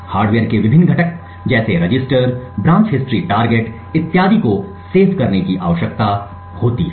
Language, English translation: Hindi, The various components within the hardware such as register, branch history targets and so on would require to be saved